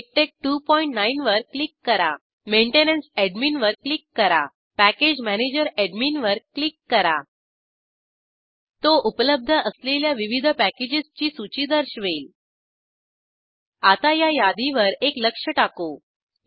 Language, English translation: Marathi, Click on MikTeX2.9 Click on Maintenance Cick on Package Manager It will show a list of various packages available Now let us take a look at this list